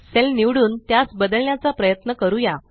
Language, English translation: Marathi, Now, lets try to select and modify data in a cell